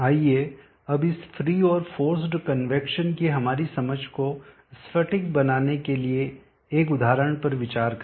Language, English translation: Hindi, Let us now consider an example to crystallize our understanding of this free and forced convection